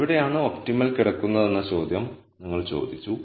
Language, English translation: Malayalam, Now, you asked the question where does the optimum lie